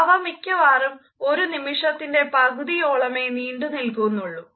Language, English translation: Malayalam, They typically last less than half a second